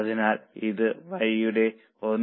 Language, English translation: Malayalam, 6 but for Y it is 1